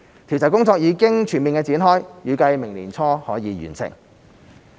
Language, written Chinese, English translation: Cantonese, 調查工作已經全面展開，預計明年年初完成。, The survey has been fully launched and is expected to be completed early next year